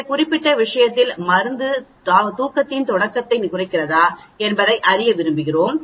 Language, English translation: Tamil, In this particular case we want to know whether the drug reduces the onset of sleep